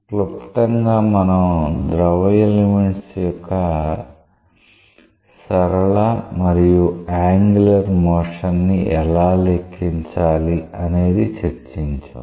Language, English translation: Telugu, In summary we have discussed the quantification of the linear and angular motion of the fluid elements